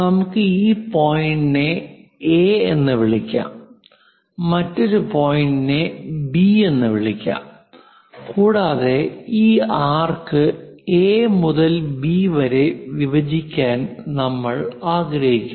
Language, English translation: Malayalam, Let us call some point A, let us call another point B and this arc from A to B; we would like to dissect it